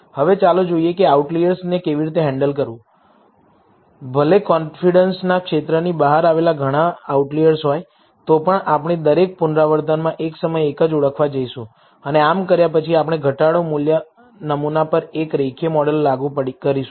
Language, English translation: Gujarati, Now, let us see how to handle these outliers, even if we have several outliers which lie outside the confidence region, we are going to identify only one at a time, at every iteration and after doing so, we are going to apply a linear model on the reduced sample